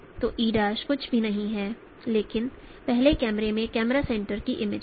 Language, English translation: Hindi, So E prime is nothing but image of the camera center of the first camera